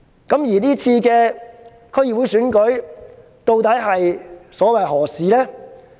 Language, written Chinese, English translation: Cantonese, 這次區議會選舉究竟所為何事？, What is the purpose of this DC Election?